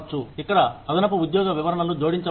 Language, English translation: Telugu, Here, additional job descriptions, could be added